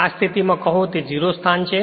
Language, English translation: Gujarati, So, at this position say it is 0 position right